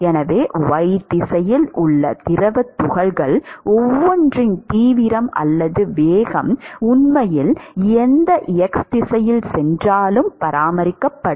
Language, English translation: Tamil, And so, the the intensity or the velocity of each of the fluid particles across y direction, would actually be maintained if you actually go in any x direction